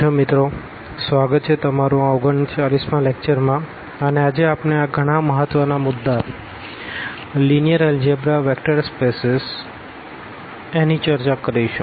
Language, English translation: Gujarati, So, welcome back and this is lecture number 39 and we will be talking about a very important topic in Linear Algebra that is a Vector Spaces